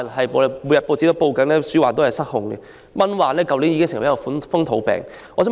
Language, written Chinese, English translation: Cantonese, 報章每天報道鼠患失控，蚊患去年已成為風土病。, Rampant rodent infestations are reported in the press each day and mosquito infestations have become endemic since last year